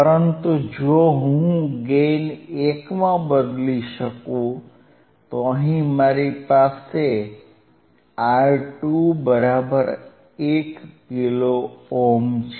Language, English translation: Gujarati, So now, what I am talking is now hHere we had R 1 R 2 equals to 1 kilo ohm